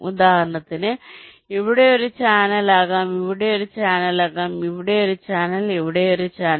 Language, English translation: Malayalam, these are all channel channel, this is channel, this is a channel, and so on